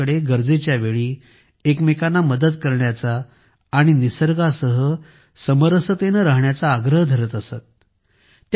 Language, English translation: Marathi, She always urged people to help each other in need and also live in harmony with nature